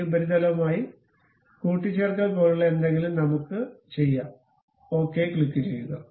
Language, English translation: Malayalam, Let us do something like mate this surface with that surface, and click ok